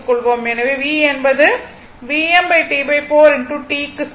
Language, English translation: Tamil, So, this will become V m upon 2